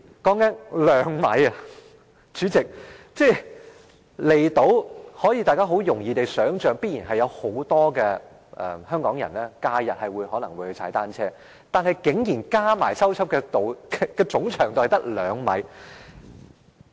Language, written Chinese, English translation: Cantonese, 代理主席，大家也想象到，很多香港人在假日也會到離島踏單車，但已修葺的單車徑合計的總長度竟然只有兩米。, Deputy President Members can imagine how many Hongkongers will go cycling on these outlying islands during holidays yet the total length of cycle tracks repaired is only 2 km